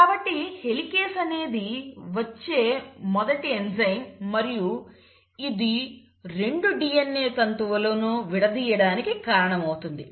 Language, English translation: Telugu, So the helicase is the first enzyme which comes in and it causes the unwinding of the 2 DNA strands